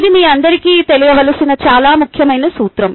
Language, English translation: Telugu, its a very important principle that you should all know